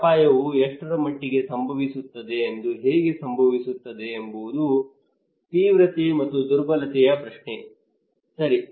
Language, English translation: Kannada, What extent this risk will happen how it will happen the severity and vulnerability question okay